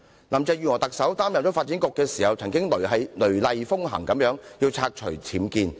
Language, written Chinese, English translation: Cantonese, 林鄭月娥在擔任發展局局長時，曾雷厲風行要拆除僭建物。, When Carrie LAM was the Secretary for Development she had taken vigorous actions to demolish UBWs